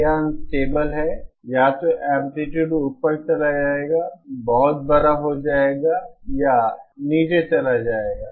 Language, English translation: Hindi, This is an unstable, either the either the amplitude will blow up become very large or it will die down